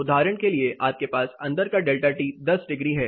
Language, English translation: Hindi, Inside you have a delta T similarly 10 degrees for examples